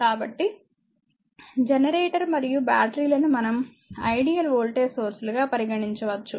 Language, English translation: Telugu, So, either generator and batteries you can you can be regarded as your ideal voltage sources that way we will think